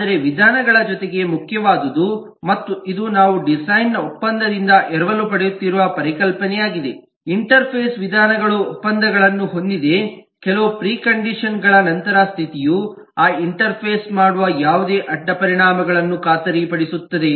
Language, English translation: Kannada, but in addition to the methods, what is important and this is the concept we are borrowing from design by contract is: the interface has contracts or methods, has certain precondition, postcondition, guarantee, certain side effects of whatever that interface will do